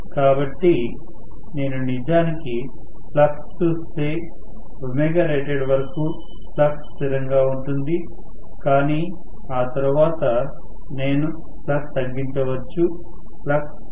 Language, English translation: Telugu, So, if I actually look at the flux the flux is going to remain as a constant until omega rated but after that I may reduce the flux the flux may get decreased